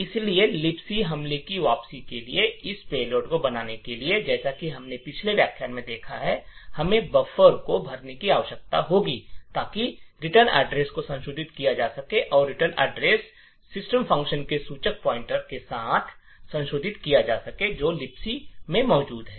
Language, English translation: Hindi, So, in order to create this payload for the return to libc attack as we have seen in the previous lecture, what we would require is to fill the buffer so that the return address is modified and the return address is modified with a pointer to the system function, which is present in the libc